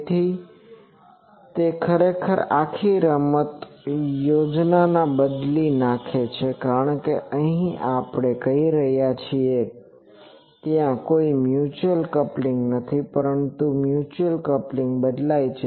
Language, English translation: Gujarati, So, that actually changes the whole game plan because here we are saying that there is no mutual coupling, but mutual coupling changes